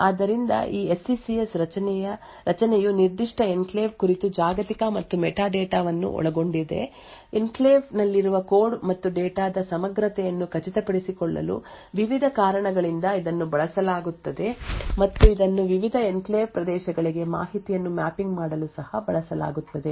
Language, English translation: Kannada, So this SECS structure contains global and meta data about that particular enclave, it is used by various reasons to such as to ensure the integrity of the code and data present in the enclave and it is also used for mapping information to the various enclave regions